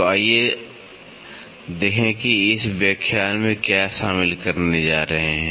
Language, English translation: Hindi, So, let us see what all are we going to cover in this lecture